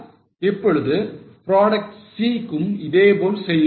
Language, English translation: Tamil, Now do it for product C